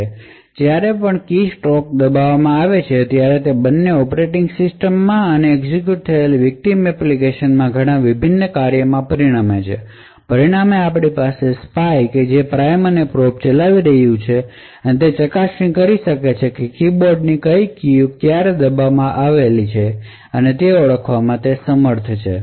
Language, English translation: Gujarati, So whenever a keystroke is pressed it results in a lot of different functions both in the operating system and both in the victim application that gets executed, as a result we would have a lot of the spy data which is running the Prime and Probe to be evicted from the cache thus the attacker would be able to identify the instant at which the keys on the keyboard were pressed